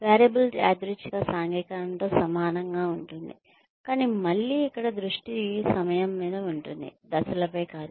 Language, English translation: Telugu, Variable is similar to random socialization, but, the time again, here the focus is on time, not on the steps